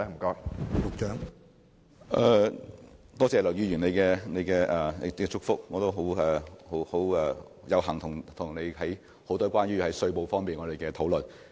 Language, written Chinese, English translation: Cantonese, 多謝梁議員的祝福，我亦有幸曾與他進行很多有關稅務方面的討論。, Thanks for the good wishes of Mr LEUNG and I am honoured to have a chance to discuss with him matters relating to taxation